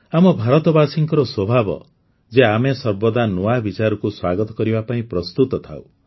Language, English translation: Odia, My dear countrymen, it is the nature of us Indians to be always ready to welcome new ideas